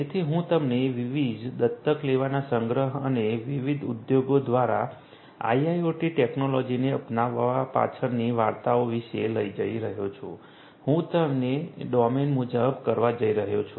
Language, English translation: Gujarati, So, I am going to take you through the collection of different adoptions and the stories behind this adoptions of IIoT technologies by different industries, I am going to do it domain wise